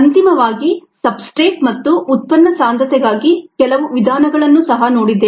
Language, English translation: Kannada, finally, some methods for substrate and product concentrations we also saw